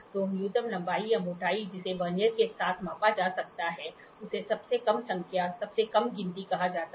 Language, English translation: Hindi, So, the minimum length or the thickness that can be measured with a Vernier is called as the least count, least count